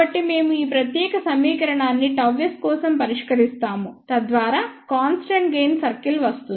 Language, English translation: Telugu, So, we solve this particular equation for gamma s and that will lead to the constant gain circle